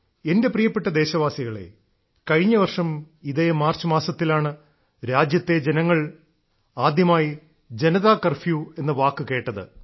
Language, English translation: Malayalam, My dear countrymen, last year it was this very month of March when the country heard the term 'Janata Curfew'for the first time